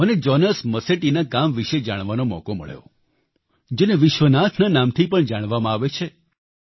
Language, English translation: Gujarati, I got an opportunity to know about the work of Jonas Masetti, also known as Vishwanath